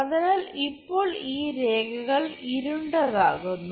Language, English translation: Malayalam, So, now darken these lines